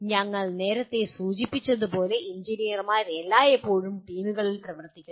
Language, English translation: Malayalam, As we mentioned earlier, engineers always work in teams